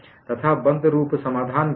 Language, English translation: Hindi, And what is the closed form solution